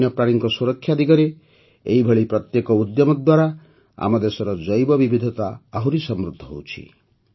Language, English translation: Odia, With every such effort towards conservation of wildlife, the biodiversity of our country is becoming richer